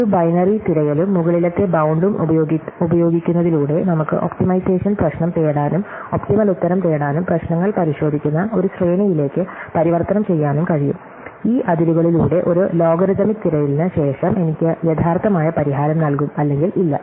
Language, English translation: Malayalam, So, by using a binary search and an upper bound, we can take an optimization problem where weÕre looking for an optimal answer and transform it into a sequence of checking problems, which after a logarithmic search through this space of the bounds will give me the actual solution or not